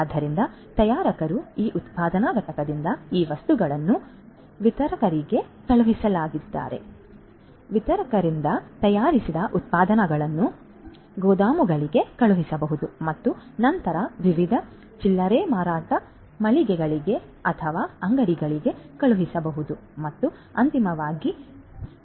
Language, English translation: Kannada, So, from this manufacturing plant by the manufacturers these materials are going to be sent to the distributors, from the distributors the manufactured products from the distributors are going to be may be sent to the warehouses and then to the different you know retail outlets or shops and finally to the end customers